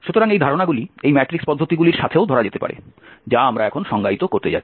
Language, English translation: Bengali, So those notions can be also captured with this matrix norms which we are going to define now